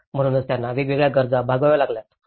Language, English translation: Marathi, So, that is why they have to undergo various requirements